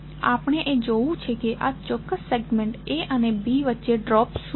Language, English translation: Gujarati, Now, we have to see what isthe drop in this particular segment that is between A and B